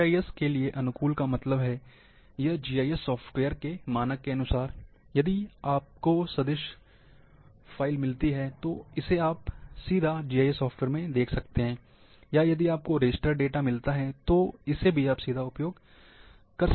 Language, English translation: Hindi, GIS compactable means, compactable to standard GIS software’s, if you get the vector file that can be directly seen in your GIS software or if you get the raster data, you can directly use that one